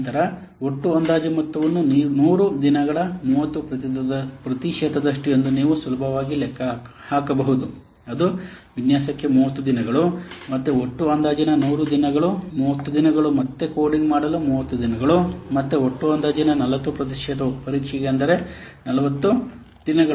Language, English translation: Kannada, Then you can easily calculate the proportionate the proportionate of this what total estimate like 30 percent of 100 days, that is 30 days for design, again 30 percent of the total estimate 100 days again it is 30 days for coding and 40 percent of the total estimate that is 40 days for the testing